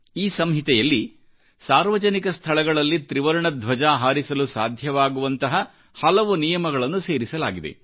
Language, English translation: Kannada, A number of such rules have been included in this code which made it possible to unfurl the tricolor in public places